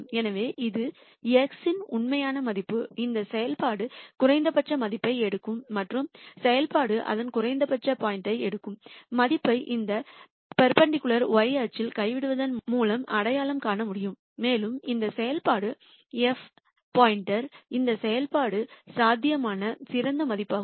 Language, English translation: Tamil, So, this is actual value of x at which this function takes a minimum value and the value that the function takes at its minimum point can be identified by dropping this perpendicular onto the y axis and this f star is the best value this function could possibly take